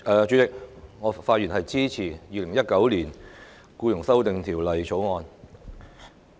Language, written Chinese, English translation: Cantonese, 主席，我發言支持《2019年僱傭條例草案》。, President I speak in support of the Employment Amendment Bill 2019 the Bill